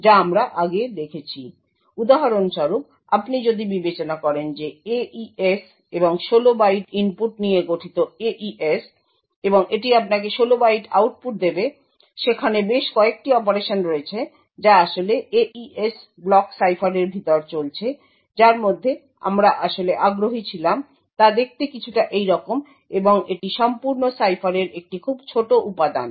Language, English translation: Bengali, So for example if you consider a AES and AES comprises of 16 bytes of input and it would give you 16 bytes of output and there are several operations which are actually going on inside the AES block cipher out of which the operations that we were actually interested in looks something like this and is a very small component of the entire cipher